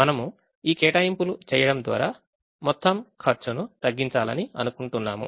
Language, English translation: Telugu, so we want to make these allocations in such a way that the total cost of allocation is minimized